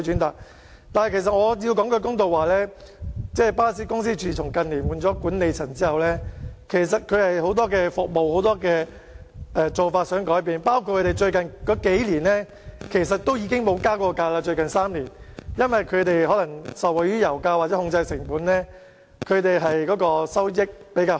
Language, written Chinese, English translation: Cantonese, 我得說句公道話，自巴士公司於近年轉換管理層後，他們也想改變很多服務和做法，而巴士公司在最近3年也沒有增加車費，可能是因為他們受惠於油價下跌，或因為可以有效控制成本，收益比較好。, Since the change of the management of the bus company in recent years the company has shown an intent to introduce changes to many of its services and practices . The bus company has not proposed any fare increases in the past three years . Maybe the company has benefited from the drop in oil prices or because it has managed to control its costs effectively or it has made better proceeds